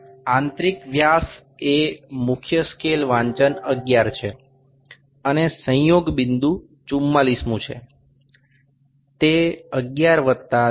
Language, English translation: Gujarati, So, the internal dia is the main scale reading is 11 and the coinciding point is 44th, it is 11 plus 0